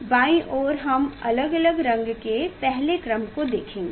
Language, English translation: Hindi, on left hand side we will see the first order of first order of different colors